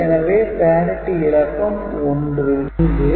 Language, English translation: Tamil, So, output will be 1